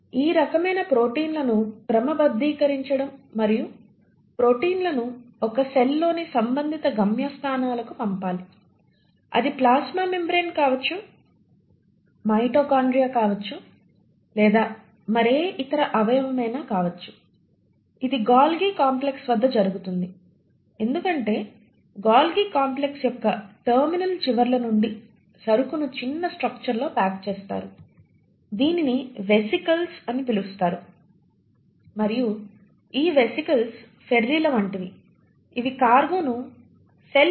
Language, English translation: Telugu, That kind of sorting of proteins and sending the proteins to the respective destinations within a cell, it can be a plasma membrane, it can be a mitochondria, it can be any other organelle, that happens at the Golgi complex because from the terminal ends of Golgi complex the cargo gets packaged into small structures which is what you call as the vesicles, and it is these vesicles which are like the ferries which will then ferry the cargo to various parts of the cell